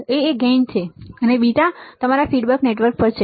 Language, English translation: Gujarati, What is A, is your gain; and beta is your feedback network right